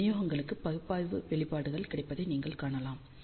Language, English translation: Tamil, So, you can see that analytical expressions are available for this distribution